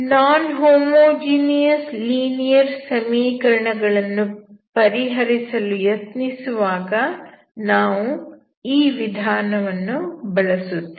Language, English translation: Kannada, So we will use this method when you try to solve the non homogeneous linear equation, okay